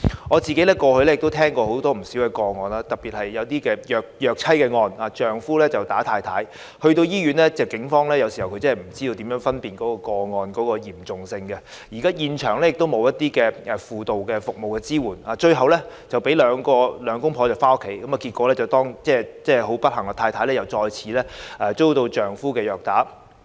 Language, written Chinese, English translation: Cantonese, 我過去曾聽到不少個案，特別是虐妻案，丈夫毆打妻子後一同來到醫院，但警方有時候真的不知如何分辨個案的嚴重性，現場亦沒有輔導服務支援，最後讓兩夫婦回家，結果當然是妻子不幸地再次被丈夫虐打。, I have heard of not a few cases especially wife abuse cases in the past . After the wife was assaulted by her husband both of them went to the hospital . But it was really difficult for police officers to assess the severity of the case and the hospital was also in lack of counselling service